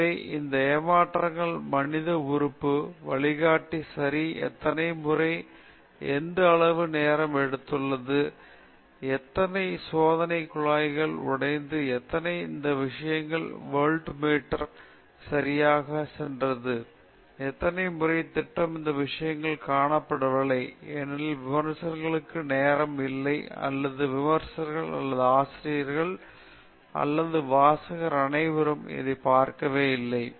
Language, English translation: Tamil, So, the human element of these frustrations, how many times the guide corrected, how long it has taken, how many test tubes are broken, how many this thing volt meters went off okay, how many times program cupped all these things are not seen, because there is no time for the reviewer or there is no time for reviewer or the editor or the reader to look at all this